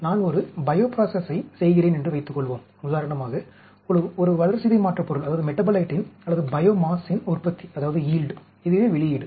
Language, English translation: Tamil, Suppose, I am doing a bio process like a yield of a metabolite, or biomass, that is the output